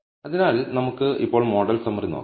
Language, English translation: Malayalam, So, now let us take a look at the model summary